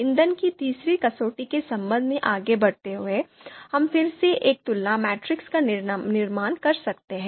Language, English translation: Hindi, Similarly move forward, now with respect to the third criterion that is fuel, we can again construct a comparison matrix